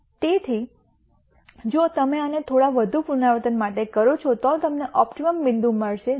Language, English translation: Gujarati, So, if you do this for a few more iterations you will get to the optimum point which is this solution 0